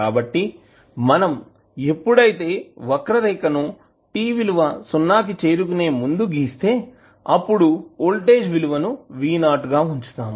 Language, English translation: Telugu, So, when we plot the curve for t less than just before 0 we will keep the value of voltage as v naught